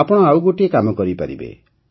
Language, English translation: Odia, You can do one more thing